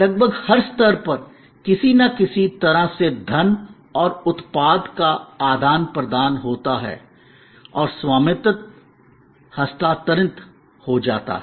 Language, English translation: Hindi, Almost at every stage, there is some kind of exchange of money and product and the ownership gets transferred